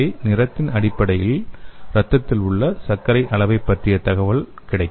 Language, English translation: Tamil, So based on the color also we will get a idea so what is the sugar level in the blood